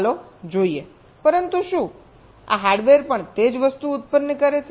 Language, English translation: Gujarati, let us see, but, whether this hardware also generates the same thing